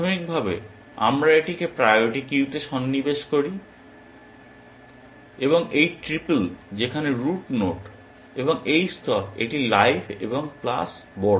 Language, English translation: Bengali, Initially we insert this into the priority queue, this triple where the root node and level it live and plus large